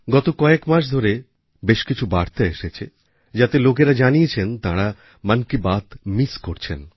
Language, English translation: Bengali, Over the last few months, many messages have poured in, with people stating that they have been missing 'Mann Ki Baat'